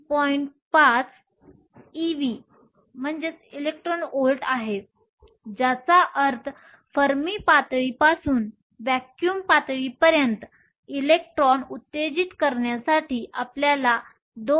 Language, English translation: Marathi, 5 ev of energy in order to excite an electron from the Fermi level to the vacuum level